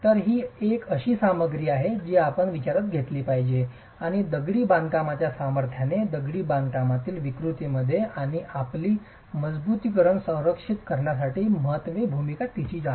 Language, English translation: Marathi, So, this is a material that you must consider and has a role to play in the strength of the masonry, in the deformability of the masonry and is primarily there to protect your reinforcement